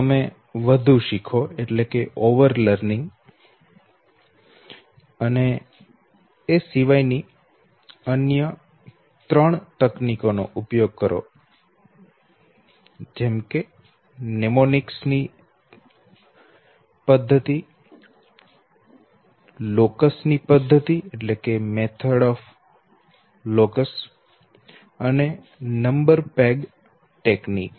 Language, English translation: Gujarati, Either you over learn, or you use three other techniques, the method of Mnemonics, the method of locus and the number peg techniques